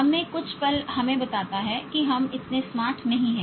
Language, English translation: Hindi, The moment something in us tells us that we are not that smart